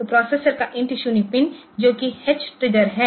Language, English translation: Hindi, So, INT 0 pin of the processor which is h triggered